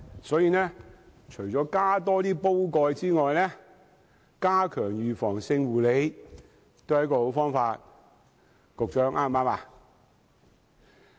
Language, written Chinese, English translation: Cantonese, 所以，除了增加煲蓋外，加強預防性護理，也是一個好方法。, Therefore besides the addition of resources the enhancement of preventive care is also a good solution